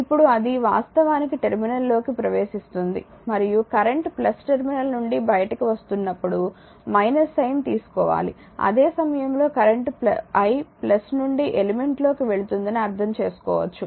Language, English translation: Telugu, Now it is actually entering the terminal and when the current is leaving the plus terminal you take minus sign, at the same time you can understand that actually the i the current is going into the element from plus